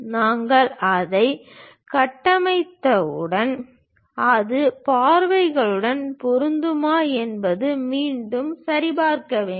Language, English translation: Tamil, Once we construct that, we have to re verify it whether that is matching the views